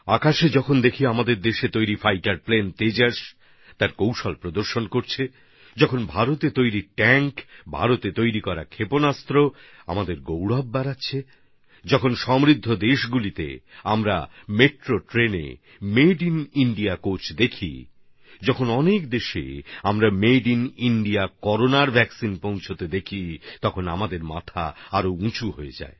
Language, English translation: Bengali, When we see fighter plane Tejas made in our own country doing acrobatics in the sky, when Made in India tanks, Made in India missiles increase our pride, when we see Made in India coaches in Metro trains in wealthyadvanced nations, when we see Made in India Corona Vaccines reaching dozens of countries, then our heads rise higher